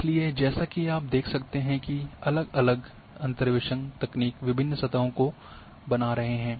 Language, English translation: Hindi, So, all different interpolation techniques are going to create different surfaces as you can see